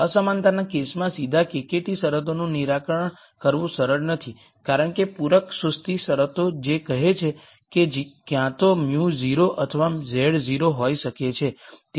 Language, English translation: Gujarati, It is not easy to solve the KKT conditions directly in the inequality case because of the complimentary slackness condition which says either mu could be 0 or z could be 0